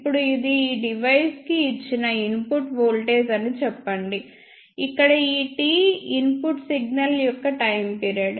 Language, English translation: Telugu, Now, let us say this is the input voltage given to this device, where this capital T is the time period of the input signal